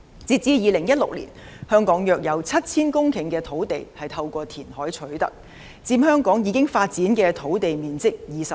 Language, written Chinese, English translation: Cantonese, 截至2016年，香港約有 7,000 公頃的土地是透過填海取得的，佔香港已發展土地面積 25%。, As at 2016 about 7 000 hectares of land in Hong Kong were formed by reclamation representing 25 % of the built - up area